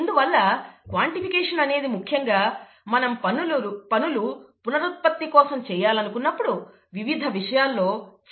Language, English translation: Telugu, And therefore, quantification is very important in many different things, especially if you want to do things reproducibly